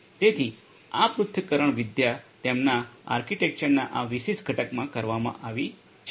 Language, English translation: Gujarati, So, this analytics is performed in this particular component of this their architecture